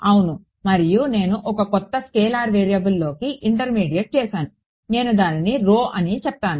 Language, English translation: Telugu, Right and I intermediate into a new scalar variable, I called it rho